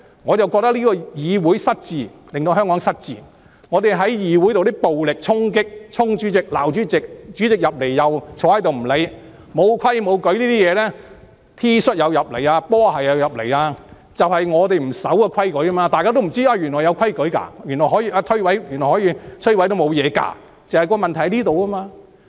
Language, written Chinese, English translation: Cantonese, 我覺得這個議會失智，令香港失智；議會的暴力衝擊、衝向主席罵主席，主席進來也不理會，沒規沒矩，穿 T 恤、波鞋進入會議廳，正正是因為不守規矩，大家都不知道原來是有規矩的，原來可以將這些規矩摧毀也沒問題的，而這就是問題所在。, I think this Council is demented thus making Hong Kong demented too . In this Council there are violent attacks as Members charged at the President and hurled abuses at him . Members ignored the President when he entered the Chamber defying the rules and regulations; Members entered the Chamber in T - shirts and sneakers exactly because they do not observe the rules and regulations